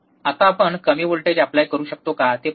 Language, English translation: Marathi, Now, let us see if we apply a less voltage